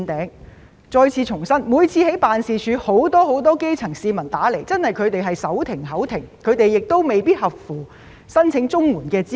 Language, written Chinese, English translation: Cantonese, 我再次重申，我在辦事處工作時，經常收到基層市民來電，他們確實手停口停又未必符合申請綜援資格。, I reiterate that I often receive calls from the grass roots when I work in my office . They are really living from hand to mouth but they may not be eligible for CSSA